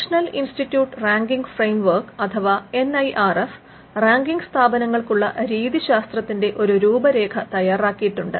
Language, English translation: Malayalam, Now, the NIRF, the National Institute Ranking Framework has come up with the framework which outlines a methodology for ranking institutions